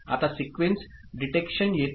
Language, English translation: Marathi, Now, comes sequence detection